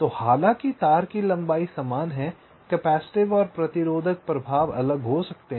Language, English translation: Hindi, so so, although the wire lengths are the same, the capacity and resistive effects may be different